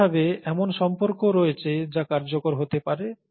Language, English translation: Bengali, And similarly, there are relationships that could be helpful, useful